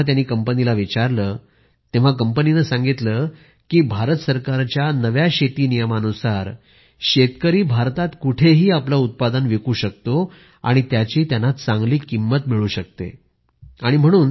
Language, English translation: Marathi, When the company was asked for the same, they said that under the new farm specific laws framed by Government of India, farmers are able to sell their produce in any part of the country and are getting good prices for the same